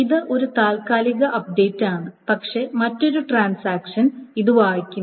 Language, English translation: Malayalam, So it is the update has been temporary but another transaction reads it